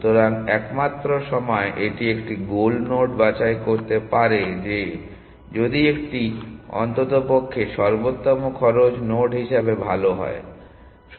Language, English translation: Bengali, So, the only time it can pick a goal node is that if it is at least as good as the optimal cost node essentially